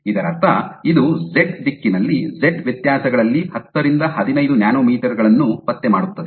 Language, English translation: Kannada, So, which means that it can detect 10 to 15 nanometers in z differences in z direction